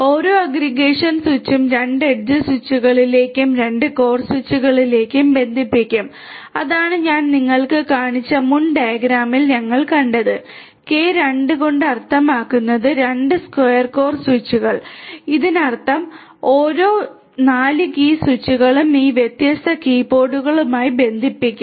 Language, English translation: Malayalam, Each aggregation switch in turn will be connecting to 2 edge switches and 2 core switches and that is what we have seen in the previous diagram that I had shown you and k by 2 that means, 2 square core switches; that means, 4 core switches each of which will connect to each of these different key pods